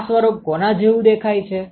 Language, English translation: Gujarati, What does this form look like